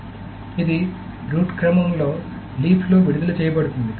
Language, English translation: Telugu, So it is released in the leaf to root order